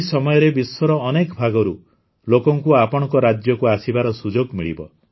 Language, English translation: Odia, During this period, people from different parts of the world will get a chance to visit your states